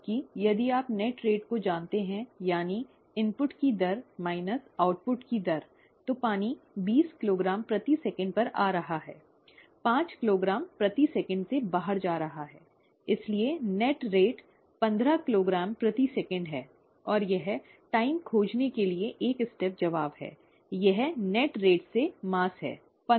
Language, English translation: Hindi, Whereas, if you know the net rate, that is the rate of input minus the rate of output, water is coming in at twenty kilogram per second, going out at five kilogram per second; so the net rate is fifteen kilogram per second, and it is a one step answer to find the time, it is mass by the net rate